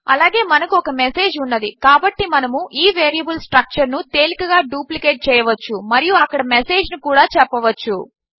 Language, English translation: Telugu, Also we have the message so we can easily duplicate this variable structure and say message in there